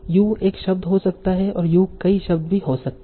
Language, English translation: Hindi, You can even have single word, you can have multiple words